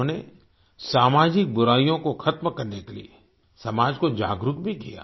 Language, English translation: Hindi, He also made the society aware towards eliminating social evils